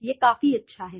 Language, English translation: Hindi, That is good enough